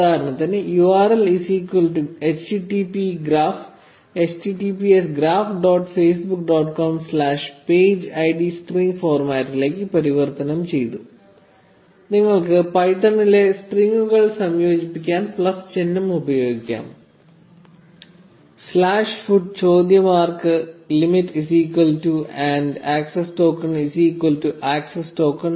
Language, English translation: Malayalam, So, we say URL is equal to http graph, no, https graph dot facebook dot com slash the page id converted into string format you can simply use plus sign to concatenate strings in python slash feet question mark limit is equal to one hundred and access token is equal to access underscore token